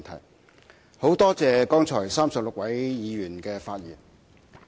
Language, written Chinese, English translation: Cantonese, 我很感謝剛才36位議員的發言。, I have to thank the 36 Members who have spoken